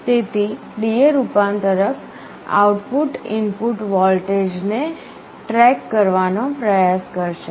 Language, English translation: Gujarati, So, the D/A converter output will try to track the input voltage